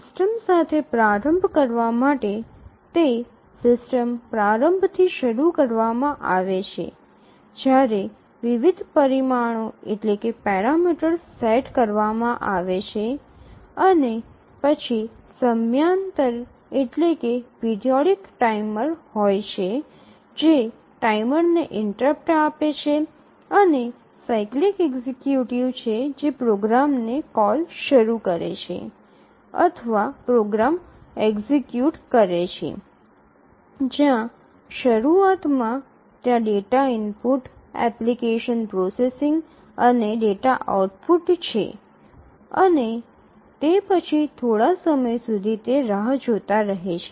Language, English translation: Gujarati, So, here initially to start with the system is started with a system initialization where various parameters are set and then there is a periodic timer which gives timer interrupt and it is a cyclic executive which starts a call to a program or executes a program where initially there is a data input application processing and and then data output, and then it keeps on waiting until the next period comes